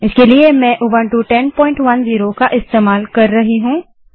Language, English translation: Hindi, For this purpose, I am using Ubuntu 10.10